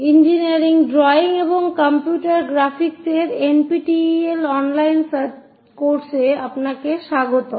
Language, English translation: Bengali, Welcome to our NPTEL online courses on Engineering Drawing and Computer Graphics